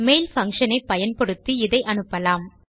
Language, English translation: Tamil, We will use the mail function to send this out